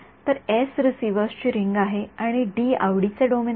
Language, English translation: Marathi, So, S is the ring of receivers and D is the domain of interest ok